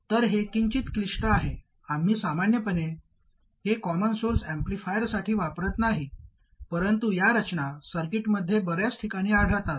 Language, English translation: Marathi, So because this is slightly more complicated, we normally would not use this for a simple common source amplifier, but these structures do occur in many places in circuits